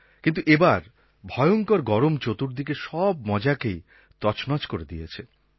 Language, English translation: Bengali, But this year the sweltering heat has spoilt the fun for everybody